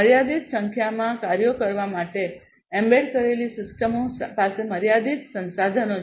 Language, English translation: Gujarati, Embedded systems have limited resources for per performing limited number of tasks